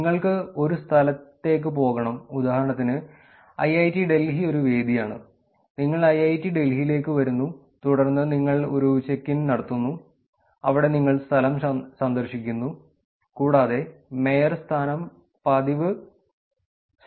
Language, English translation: Malayalam, You go to a place, for example, IIIT Delhi is a venue, you come to IIIT Delhi, which is a venue, and then you do a check in, which is you are visiting the place and mayorship is for frequent visits